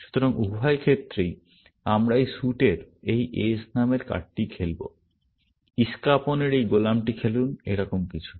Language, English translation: Bengali, So, in both instances, we will play this card name s of this suit; play this jack of spade, something like that